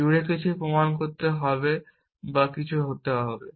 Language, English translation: Bengali, Something must be proved throughout or something must be